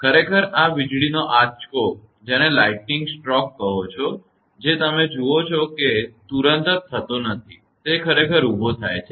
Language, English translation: Gujarati, Actually this lightning stroke whatever you see it does not happen instantaneously, it jumps actually